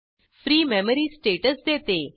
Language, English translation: Marathi, free gives memory status